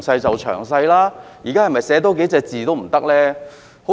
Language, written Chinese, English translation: Cantonese, 局方是否多寫幾個字都不行呢？, Is it true that the Bureau cannot even write a few more words?